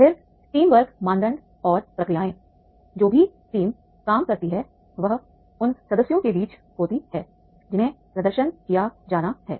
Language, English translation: Hindi, Then teamwork norms and procedures, whatever the team works are there among the members, right